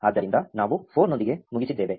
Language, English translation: Kannada, So, we are done with 4